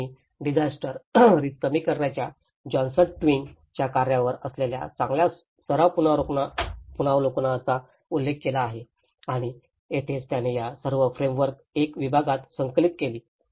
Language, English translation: Marathi, And I have referred with the good practice reviews work on John Twigs work of disaster risk reduction and that is where he compiled everything all these frameworks into one segment